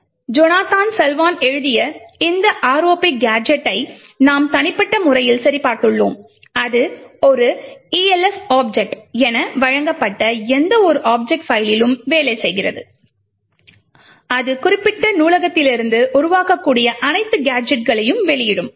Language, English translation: Tamil, So, we have personally verified and checked this ROP gadget, by Jonathan Salwan and it works on any object file provided is an ELF object, it would output all the gadgets that can be created from that particular library